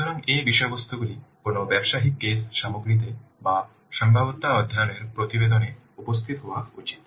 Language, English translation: Bengali, So these contents should appear in aATA business case content or in a feasibility study report